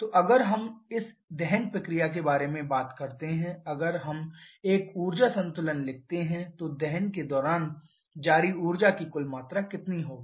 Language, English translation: Hindi, So, if we talk about this combustion process if we write an energy balance then total amount of energy released during combustion will be how much